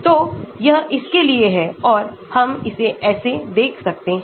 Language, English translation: Hindi, So, this is for this and we can look at it like this